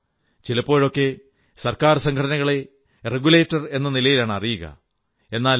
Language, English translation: Malayalam, At times, government organizations are tagged as a regulator, but it is commendable that F